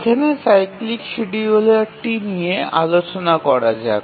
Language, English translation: Bengali, So, let's look at the cyclic scheduler